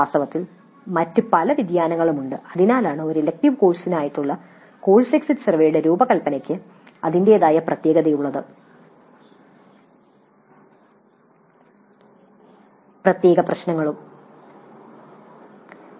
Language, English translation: Malayalam, In fact there are many other variations because of each the design of the course exit survey for an elective course has its own peculiar issues